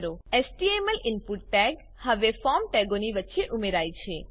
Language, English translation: Gujarati, A HTML input tag is now added between the form tags